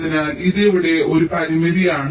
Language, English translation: Malayalam, so this is one constraint here